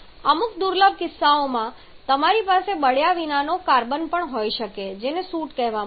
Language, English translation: Gujarati, And in certain rare cases you may have some unburned quantity or unburned carbon as well which we call soot